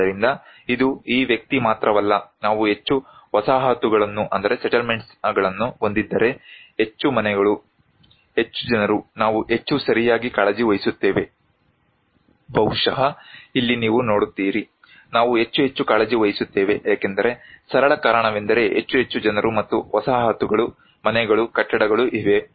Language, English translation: Kannada, So, it is not only this person but if we have more settlements, more houses, more people we care more right, maybe here you look, we care more and more because the simple reason is that more and more people and settlements, houses, buildings are there